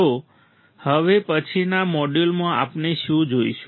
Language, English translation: Gujarati, So, now in the next module what we will see